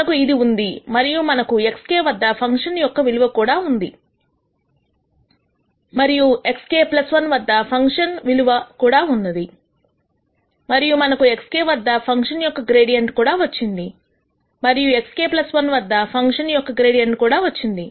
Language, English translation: Telugu, So, there is let us say we are at x k and we are nding a new variable x k plus 1 we have this we have also the value of the function at x k and the value of the function at x k plus 1, and we have also got the gradient of the function at x k, and the gradient of the function at x k plus 1